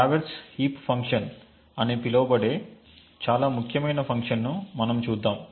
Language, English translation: Telugu, The next we will see is a very important function known as the traverse heap function